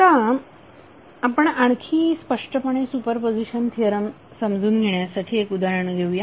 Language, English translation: Marathi, Now let us take one example so that you can understand the super position theorem more clearly